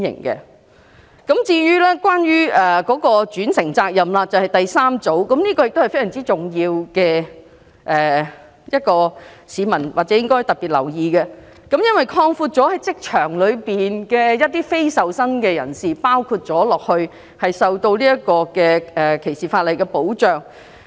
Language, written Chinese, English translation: Cantonese, 第三組修正案關乎轉承責任，同樣非常重要，市民應該特別留意，因為轉承責任的適用範圍擴闊至包括工作場所的非受薪人士，令他們同樣受到反歧視條例的保障。, The third group of amendments concerns vicarious liability which is equally important . Members of the public should take note of these amendments because the scope of vicarious liability will be extended to cover unpaid personnel in workplace giving them the same statutory protection against discrimination